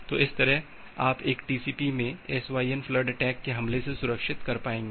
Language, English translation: Hindi, So, that way you will be able to safeguard the SYN flood attack in a TCP